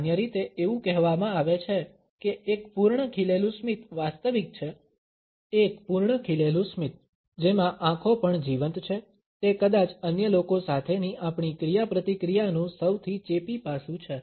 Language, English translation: Gujarati, Normally, it is said that a full blown smile is genuine, a full blown smile in which the eyes are also lived up is perhaps the most infectious aspect of our interaction with other people